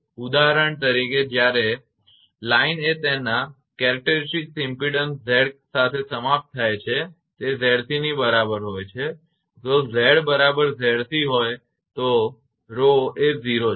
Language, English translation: Gujarati, For example, when the line is terminated with its characteristic impedance Z is equal to Z c if f Z is equal to Z c then rho is 0 then your rho will be 0